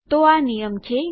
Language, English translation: Gujarati, So its a rule